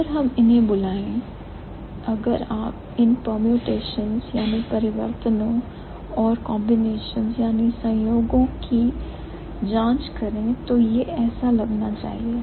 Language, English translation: Hindi, So, why we call it, if you try the permutations and combinations, this is how it should look like